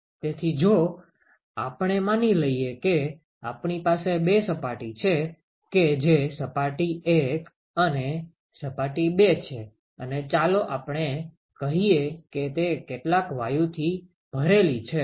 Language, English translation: Gujarati, So, if we suppose we assume that we have two surfaces ok, surface 1 and surface 2 and let us say it is filled with some gas ok